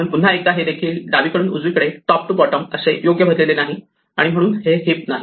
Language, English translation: Marathi, So, once again this has not been filled correctly left to right, top to bottom and therefore, this is not a heap